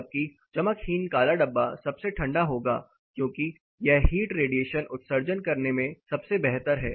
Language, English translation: Hindi, Whereas, the dull black container would be the coolest because it is based in emitting heat radiation